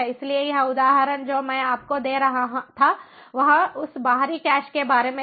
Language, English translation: Hindi, so this example that i was giving you was about that external cache will to look at the internal cache shortly